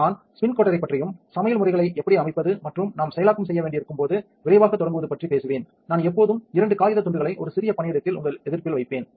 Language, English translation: Tamil, So, I will talk about the spin coater and how to set up recipes and quick start When we need to do processing I would always make a small workspace two piece of paper put on your resist